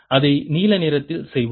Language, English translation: Tamil, let's make it with blue